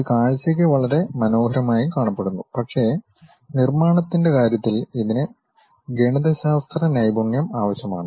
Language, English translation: Malayalam, It looks for visual very nice, but construction means it requires little bit mathematical skill set